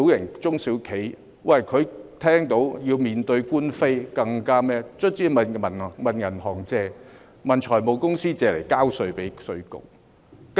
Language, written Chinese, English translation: Cantonese, 根本中小企一旦要面對官非，最終唯有向銀行、財務公司借錢，以便向稅務局交稅。, At the end of the day once involved in litigation small and medium enterprises SMEs would eventually need to borrow money from banks and finance companies for tax payment to IRD